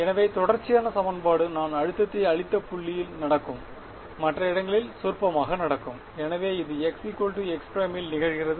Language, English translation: Tamil, So, the equation of continuity will happen at the point at which I have applied the stress right other places anyway it is trivially continuous, so this happens at x is equal to x prime